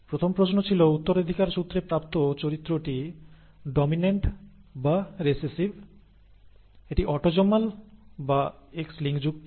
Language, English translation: Bengali, The first question was; is the inherited character dominant or recessive, is it autosomal or X linked; that is the first question